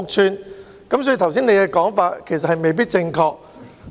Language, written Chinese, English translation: Cantonese, 所以，特首剛才的說法其實未必正確。, Thus Chief Executive what you said just now might not be correct